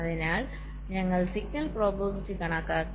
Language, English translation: Malayalam, so we have calculated the signal probabilities